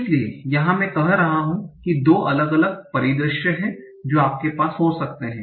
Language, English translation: Hindi, So here I'm saying there are two different scenarios that you might have